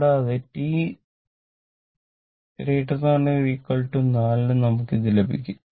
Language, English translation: Malayalam, So, you put t is equal to here 4 second